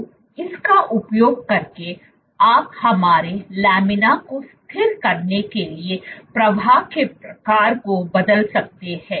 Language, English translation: Hindi, So, using this you can vary the type of flow as steady our laminar